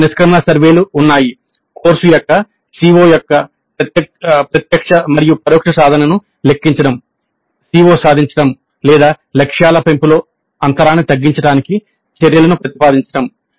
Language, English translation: Telugu, So there are course exit surveys, then computing the direct and indirect attainment of COs of the course, then proposing actions to bridge the gap in CO attainment or enhancement of the targets